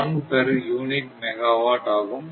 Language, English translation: Tamil, 01 per unit megawatt per hertz